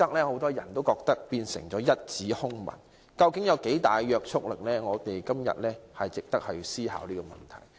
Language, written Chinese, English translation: Cantonese, 很多人覺得《規劃標準》已變成一紙空文，究竟有多大約束力是值得我們思考的問題。, Many people think that HKPSG is a mere scrap of paper and it is worth considering what binding force this document has